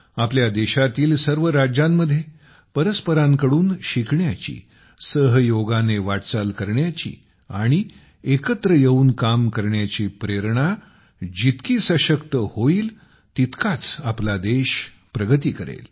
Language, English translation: Marathi, In all our states, the stronger the spirit to learn from each other, to cooperate, and to work together, the more the country will go forward